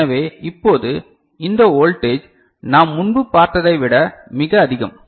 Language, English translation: Tamil, So, now, this voltage is much larger than, what we had seen before